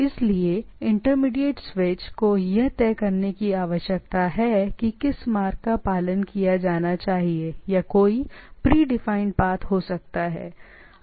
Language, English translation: Hindi, So, this intermediate switch need to decide that which path there should be followed or there can be a predefined path